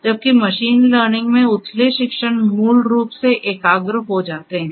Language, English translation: Hindi, Whereas, in machine learning, the shallow learning basically converges